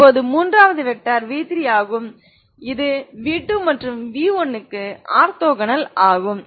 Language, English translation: Tamil, Now the third vector is v3 this i want another v3 so i look for v3 which is orthogonal to v2 and v1